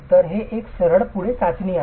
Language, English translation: Marathi, So it's a very straightforward test